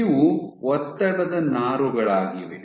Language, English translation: Kannada, So, these are your stress fibers